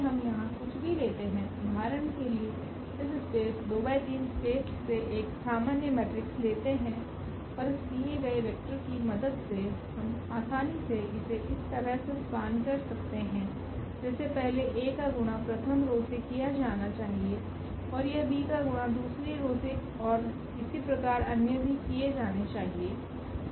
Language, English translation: Hindi, So, anything we take here for example, 2 by 3 so, this is a general matrix from this space 2 by 3 and with the help of this given vectors we can easily expand in terms of like a should be multiplied to the first one now and this b is should be multiplied to the second one and so on